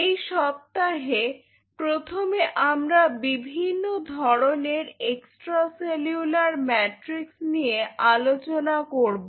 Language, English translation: Bengali, This week in the initial part we will be covering about the different kind of extracellular matrix